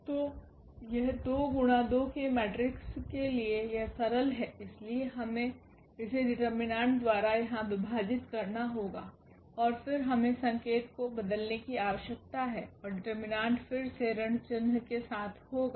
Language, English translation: Hindi, So, for 2 by 2 matrix it is simple, so we have to divide here by this determinant and then we need to change the sign and determined will be again with minus sign